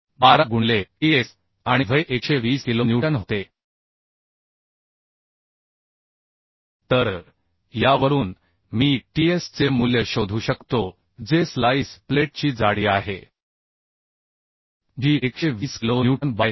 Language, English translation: Marathi, 12 into ts and Ve was 120 kilo Newton So from this I can find out the value of ts which is the thickness of splice plate that will be 120 kilo Newton by 34